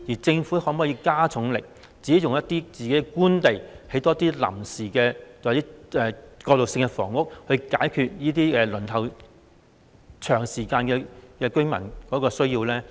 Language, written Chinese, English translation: Cantonese, 政府可否加重力度，運用自己的官地，多興建臨時或過渡性房屋，以解決長時間輪候公屋的居民的需要呢？, Can the Government make extra efforts to build more temporary or transitional housing on Government land to meet the needs of the residents who have been waiting for public housing for too long?